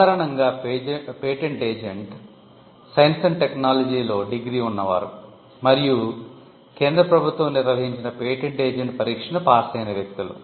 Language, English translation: Telugu, The patent agent are people who have a background degree in science and technology and who have cleared the patent agent examination conducted by the Central Government